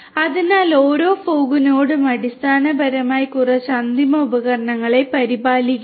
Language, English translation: Malayalam, So, every fog node essentially takes care of a few end devices